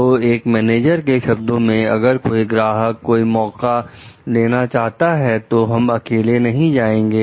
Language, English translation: Hindi, So, in one manager s words, if a customer wants us to take a chance we won t go along